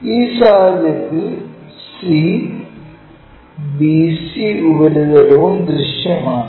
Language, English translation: Malayalam, In this case c, bc surface also visible